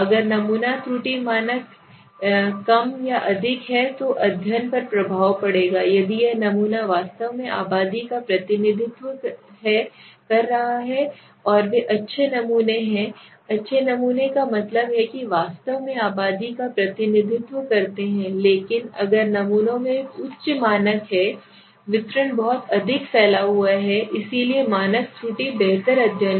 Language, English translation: Hindi, So if the sample error standard error is less or more that will have an effect on the study if it is less then I would assume that this sample are actually representing the population and they are good samples that means truly represent the populating but if the samples have a high standard error the distribution is too much dispersed and then we will say this is a problem so lower the standard error better the study higher the standard error poor the study okay